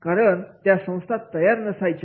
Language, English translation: Marathi, Because the organization was not ready